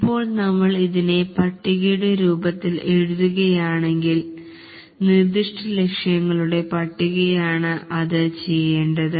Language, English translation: Malayalam, If we write it in the form of a list, it is the list of specific goals, That is what needs to be done